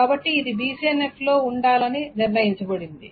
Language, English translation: Telugu, Now, of course, this is not in BCNF